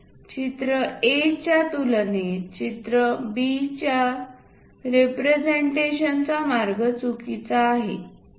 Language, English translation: Marathi, Picture B is wrong way of representation when compared to picture A why